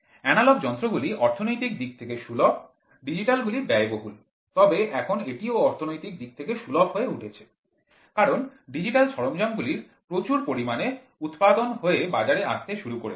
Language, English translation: Bengali, Analog instruments are very economical, digital are expensive, but now it has also become economical because lot of mass production of digital equipment have started coming in to the market